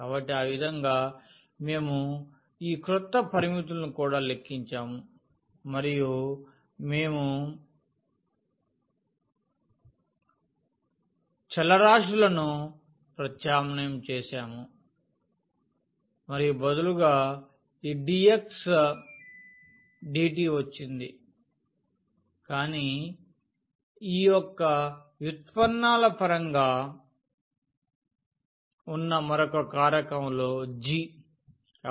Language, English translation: Telugu, So, in that way we have also computed these new limits and we have substituted the variable and instead of this dx dt has come, but within another factor which was in terms of the derivatives of this g